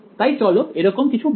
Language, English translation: Bengali, So, let say something like this ok